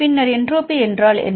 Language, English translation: Tamil, So, in this case, the entropy is